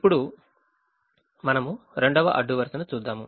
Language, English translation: Telugu, now we look at the second row